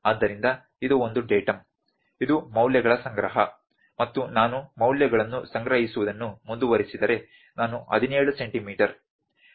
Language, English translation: Kannada, So, this is one Datum, this is collection of values and if I keep on collecting the values, if I since I have the values like 17 centimetres, 17